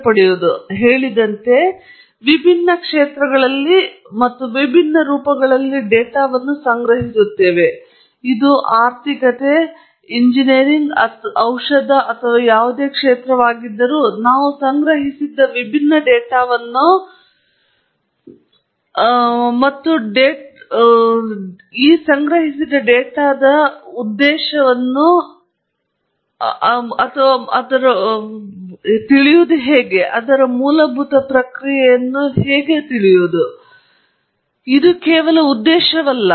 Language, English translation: Kannada, As I said, we collect data in different spheres and different forms, whether it’s econometrics, whether it’s engineering or medicine or any other field, we have different types of data collected and the purpose of collecting data is basically to know something about the process; but, of course, that’s not the only purpose